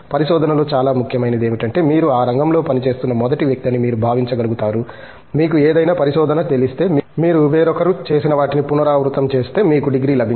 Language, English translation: Telugu, What is very important in research is, to be able to feel that you are possibly the first one to be working in that field, after all you know any research if you simply repeat what somebody else has done, you would not get a degree